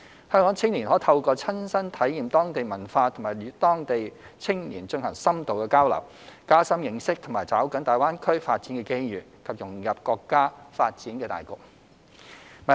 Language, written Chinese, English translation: Cantonese, 香港青年可透過親身體驗當地文化及與當地青年進行深度交流，加深認識和抓緊大灣區發展的機遇，以及融入國家發展大局。, By experiencing the local culture and conducting in - depth exchange with local young people Hong Kong youth could gain a better understanding of and seize the opportunities in GBA and integrate in the overall development of the country